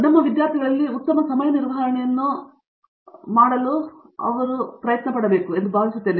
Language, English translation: Kannada, I think this we have to inculcate in our students to do a much better time management